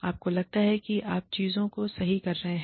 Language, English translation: Hindi, You think, you are doing things, right